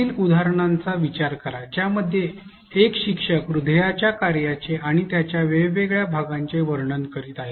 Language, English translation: Marathi, Consider the following example in which a teacher is describing the function of a heart and its different parts